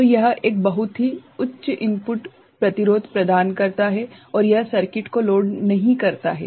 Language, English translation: Hindi, So, this provides a very high input impedance and it does not load the circuit